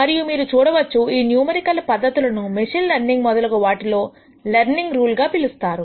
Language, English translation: Telugu, And you will see these numerical methods as what is called as learning rule in machine learning and so on